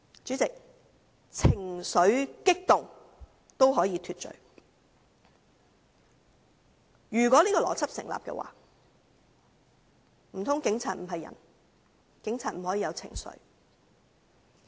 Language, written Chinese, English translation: Cantonese, 主席，"情緒激動"可以是脫罪的理由，若這邏輯成立，難道警員不是人？, President agitation can be a justification for getting away from an offence . If such logic stands are police officers not human?